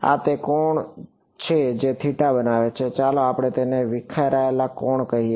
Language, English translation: Gujarati, This is the angle it makes theta s let us call it scattered angle